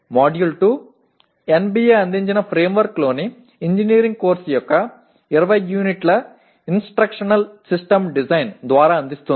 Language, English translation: Telugu, Module 2 presents through 20 units of Instructional System Design of an engineering course in the framework provided by NBA